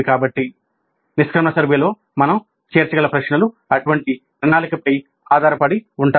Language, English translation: Telugu, So, questions that we can include in the exit survey depend on such planning